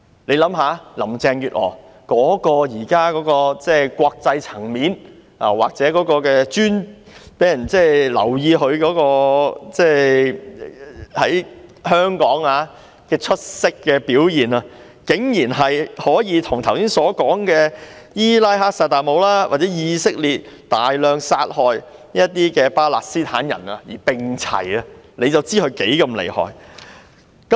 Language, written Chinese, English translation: Cantonese, 大家想一想，林鄭月娥現在的國際層面，或她在香港令人留意到的出色表現，竟然可以跟剛才提到的伊拉克薩達姆或以色列大量殺害巴勒斯坦人的事件看齊，可想而知她有多麼的厲害。, The international level of Carrie LAM or her outstanding eye - catching performance in Hong Kong can be put on a par with Iraqs Saddam HUSSEIN or the incident of Israel killing a large number of Palestinians . We can imagine how awesome she has become . Let us also take a look at the past couple of days when many signature campaigns were organized